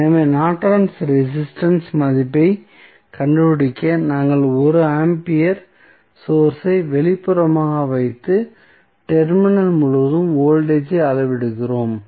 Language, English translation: Tamil, So, to find out the value of Norton's resistance, we just placed 1 ampere source externally and measure the voltage across terminal